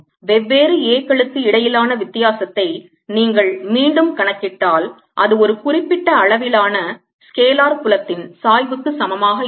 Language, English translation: Tamil, if you calculate the difference between the different a's again, that come out to be equal to gradient of certain scalar field